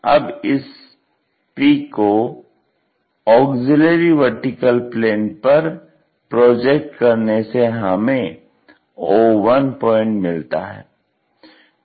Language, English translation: Hindi, So, the coordinates of this P point which is projected onto auxiliary planar giving us o1 p1'